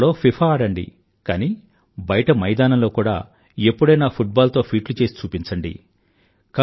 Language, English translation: Telugu, Play FIFA on the computer, but sometimes show your skills with the football out in the field